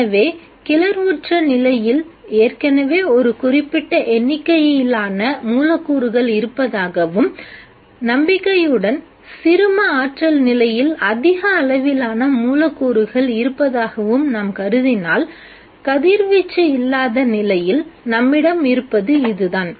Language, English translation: Tamil, So if we assume that there are already a certain number of molecules in the excited state and hopefully a much larger number of molecules in the ground state what we have is in the absence of radiation this is the scenario